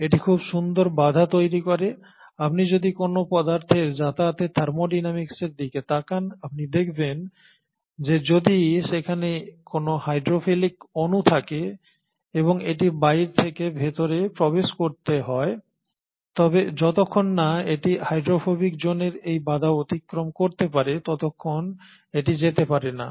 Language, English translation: Bengali, So this forms a very nice barrier in terms of, if you look at the thermodynamics of any material to pass through you find that if at all there is a hydrophilic molecule and it has to gain its access say from outside to inside, unless it crosses this barrier of hydrophobic zone, it cannot go through